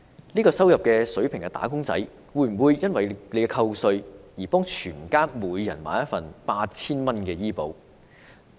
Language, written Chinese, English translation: Cantonese, 這個入息的"打工仔"會否為了扣稅而為所有家人每人購買一份 8,000 元的醫保？, Will a wage earner of this income level purchase a health insurance policy for each of his family members at an annual premium of 8,000 just to save tax?